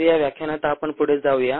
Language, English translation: Marathi, so let us move further in this lecture